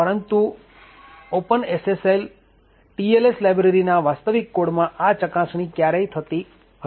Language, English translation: Gujarati, However, in the actual code of the Open SSL TLS library this check was never made